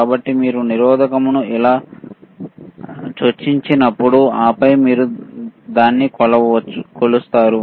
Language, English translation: Telugu, So, when you insert the resistor like this, and then you measure it, right